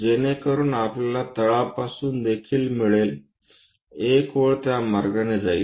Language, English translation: Marathi, so that we will get from bottom also, one line goes in that way